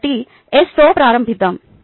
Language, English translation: Telugu, ok, so lets start with s